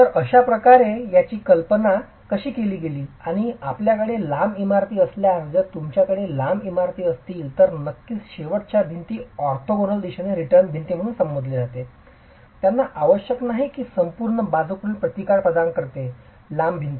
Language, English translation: Marathi, And if you have long buildings, if you have long buildings, of course the end walls which are referred to as the return walls in the orthogonal direction, these need not necessarily provide lateral resistance for the entire length of the long walls